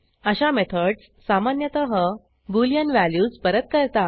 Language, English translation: Marathi, Such methods are generally used to return boolean values